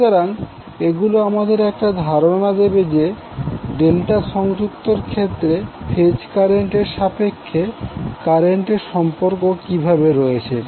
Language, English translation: Bengali, So this will give you an idea that how the current in case of delta connected will be having relationship with respect to the phase currents